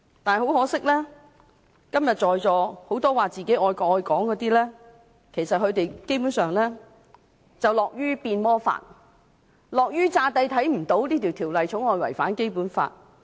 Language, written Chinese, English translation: Cantonese, 不過很可惜，今天在座很多說自己愛國愛港的人，基本上樂於變魔法，樂於假裝看不到這項《條例草案》違反《基本法》。, But unfortunately many of those sitting in this Chamber who claim themselves to be patriotic are basically glad to see this magic trick and glad to turn a blind eye to the contravention of the Basic Law by this Bill